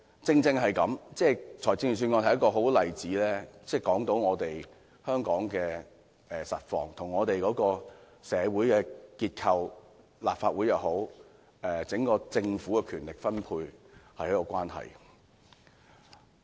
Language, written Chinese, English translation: Cantonese, 預算案是一個很好的例子，說明香港的實況，跟社會結構、立法會或整個政府的權力分配有莫大的關係。, The resource distribution under the Budget is a very good case to show that the present situation in Hong Kong can be largely ascribed to the structure of our society and the distribution of power between the legislature and the Government